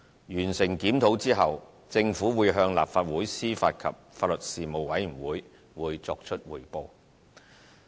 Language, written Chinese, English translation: Cantonese, 完成檢討後，政府會向立法會司法及法律事務委員會作出匯報。, Upon completion of the review the Government will report the outcome to the Legislative Council Panel on Administration of Justice and Legal Services